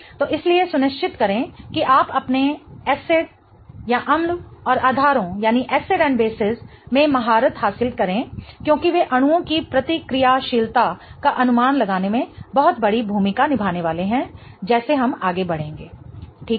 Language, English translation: Hindi, So, that's why make sure that you are mastering your acids and basis because they are going to play a huge role in predicting the reactivity of the molecules as we go ahead